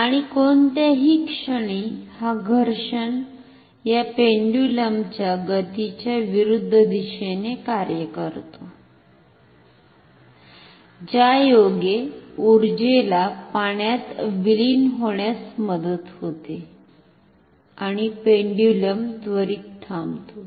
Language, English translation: Marathi, And at any moment this friction acts in the direction opposite to the velocity of the this pendulum thereby helping the energy to dissipate to the water and stop causing the pendulum to stop quicker